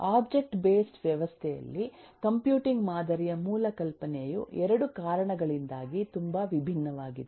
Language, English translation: Kannada, in a object based system, the computing basic, the idea of basic computing model itself is very different, and this is because of 2 reasons